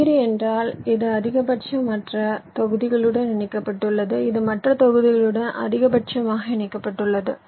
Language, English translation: Tamil, degree means it is connected to maximum other blocks, the block which is maximally connected to other blocks